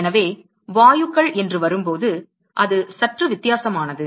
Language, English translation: Tamil, So, when it comes to gases it is slightly different